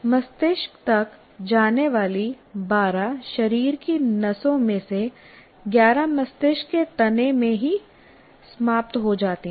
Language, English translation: Hindi, 11 of the 12 body nerves that go to the brain and in brain stem itself